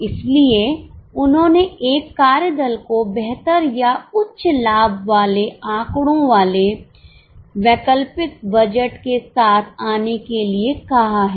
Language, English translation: Hindi, So, they have asked a working party to come up with alternate budgets with better or higher profit figures